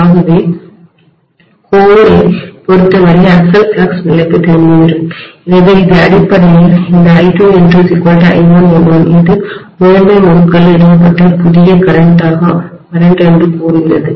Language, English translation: Tamil, So we come back to the original flux level itself as far as the core is concerned, so this is essentially tells me that this I2 N2 should be equal to I1 N1 where this is the new current established in the primary winding